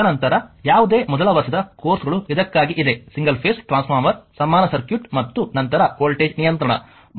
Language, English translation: Kannada, And then whatever first year courses is there for your transformer single phase transformer your equivalent circuit and after voltage regulation